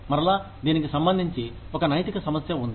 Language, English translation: Telugu, So again, there is an ethical issue, regarding this